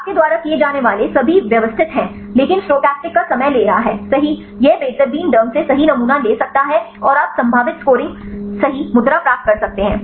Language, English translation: Hindi, Takes all systematic you have to do, but is time consuming right stochastic it can randomly sampled right and you can get the probable scoring right the pose